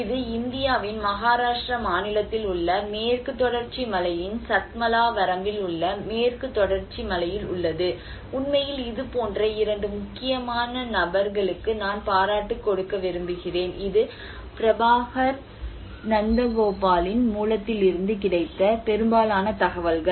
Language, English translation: Tamil, This is in the Western Ghats in the Satmala range of the Western Ghats in Maharashtra state of India and in fact I want to give a credit of two important people like this is most of the information this has been from the source of Prabhakar Nandagopal